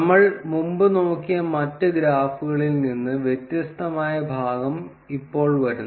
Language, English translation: Malayalam, Now comes the part, which is different from the other graphs that we have been looking before